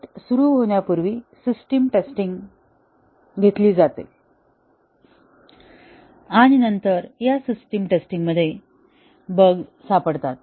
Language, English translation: Marathi, Before testing starts, a system testing; and then, as the system testing is taken up, bugs get detected